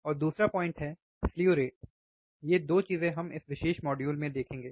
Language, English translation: Hindi, And then another point is slew rate, 2 things we will see in this particular module